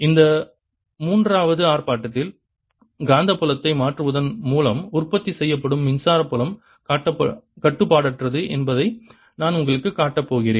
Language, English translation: Tamil, in this third demonstration i am going to show you that the electric field that is produced by changing magnetic field is non conservative